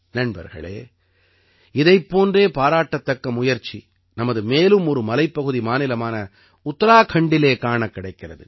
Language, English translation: Tamil, Friends, many such commendable efforts are also being seen in our, other hill state, Uttarakhand